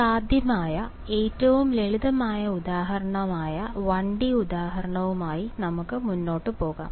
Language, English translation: Malayalam, So, let us proceed with the simplest possible example which is a 1 D example